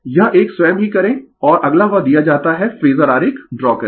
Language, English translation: Hindi, This one you do it of your own right and if you given that draw phasor diagram